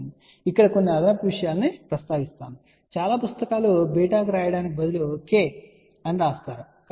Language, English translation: Telugu, I just want to mention of you additional thing here many books instead of writing beta they write k